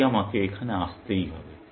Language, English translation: Bengali, So, I must come down here